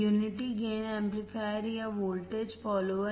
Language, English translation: Hindi, Unity gain amplifier or voltage follower voltage follower